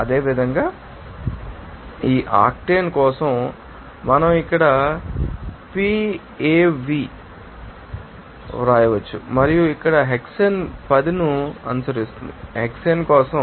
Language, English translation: Telugu, And similarly for you know that octane also we can write here Pov and you know that hexane here will follow 10 is for hexane